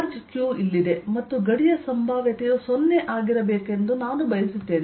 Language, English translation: Kannada, here is the charge q, and i want potential of the boundary to be zero